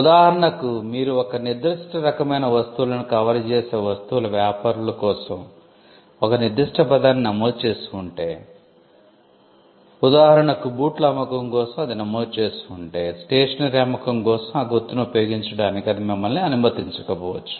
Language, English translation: Telugu, For example, if you have registered a particular word for say trade in goods covering a particular kind of goods; say, shoes you may not be allowed to use that mark for selling stationery, unless you have a registration covering that class as well